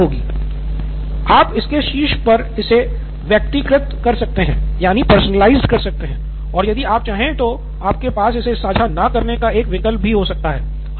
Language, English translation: Hindi, And then you can personalize on top of it and not, if you, you can probably have one option of not sharing it also